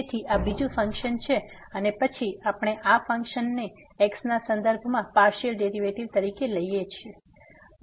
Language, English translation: Gujarati, So, this is another function and then we are taking partial derivative with respect to of this function